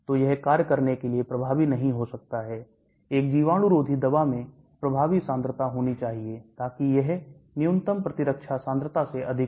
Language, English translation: Hindi, So it might not be effective for it to act, an antibacterial drug should have effective concentration so that it is higher than minimum immunity concentration